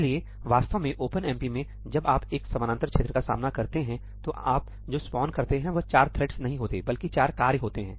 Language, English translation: Hindi, So, actually, in OpenMP, when you encounter a parallel region, what you spawn is not four threads, but four tasks